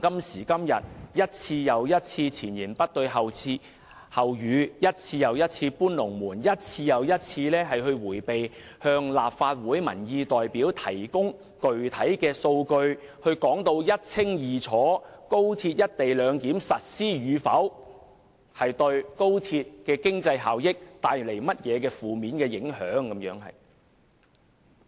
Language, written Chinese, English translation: Cantonese, 政府一次又一次前言不對後語，一次又一次"搬龍門"，一次又一次迴避向立法會的民意代表提供具體數據，清楚說明高鐵"一地兩檢"實施與否對經濟效益有何負面影響。, Time and again the Government has been self - contradictory; time and again it has moved the goalposts; time and again it has evaded providing representatives of public opinion in the Council with concrete figures and explaining clearly the adverse impacts on economic benefits should the co - location arrangement concerning XRL fail to be implemented